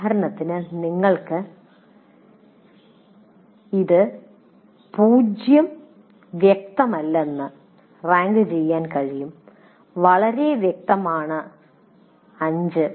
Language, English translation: Malayalam, For example, you can rate it as not clear at all, zero, very clear is five